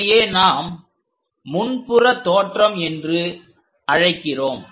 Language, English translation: Tamil, This is what we call front view